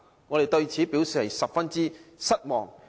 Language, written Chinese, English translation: Cantonese, 我們對此表示十分失望。, We are greatly disappointed at this